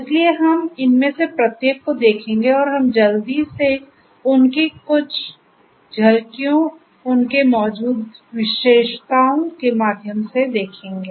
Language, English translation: Hindi, So, we will take up each of these and we will just quickly we will glance through some of their highlights or the features that they have